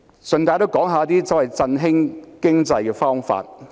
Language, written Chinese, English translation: Cantonese, 主席，讓我順帶一提一些振興經濟的方法。, In passing President let me float some ideas to boost the economy